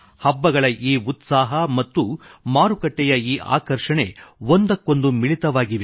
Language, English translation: Kannada, The fervour of festivals and the glitter and sparkle of the marketplace are interconnected